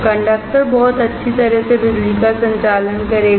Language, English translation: Hindi, Conductor will conduct electricity very well